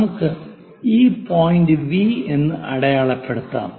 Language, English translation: Malayalam, Let us mark this point as V this is the point V